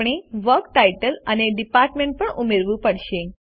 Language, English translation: Gujarati, We shall also add a Work Title and Department